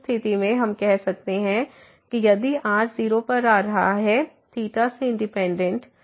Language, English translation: Hindi, So, in that case we can say if approaching to 0 independently of theta